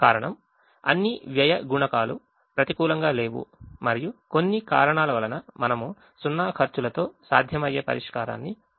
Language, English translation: Telugu, the reason is, all the cost coefficients are non negative and if, for some reason, we are able to get a feasible solution with zero cost, then the objective function value is zero